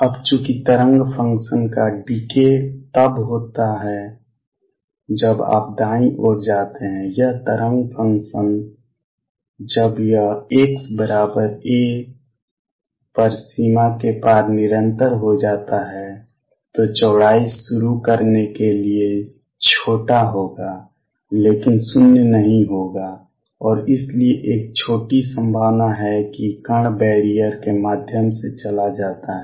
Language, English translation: Hindi, Now since the wave function decay is as you go to the right, this wave function when it becomes continuous across boundary at x equals a would be small to start width, but non zero and therefore, there is a small probability that the particle goes through the barrier